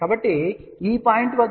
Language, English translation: Telugu, So, at this point, we have to add plus j 0